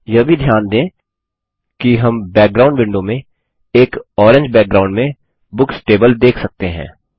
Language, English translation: Hindi, Also notice that in the background window, we see the Books table in an Orange background